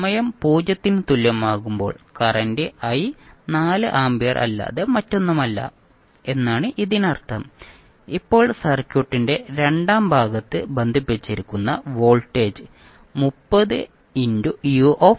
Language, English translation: Malayalam, So it means that you can simply say current i at time is equal to 0 is nothing but 4 ampere this you can get easily from the circuit, now you see that the voltage which is connected across the second part of the circuit is 30u minus t volt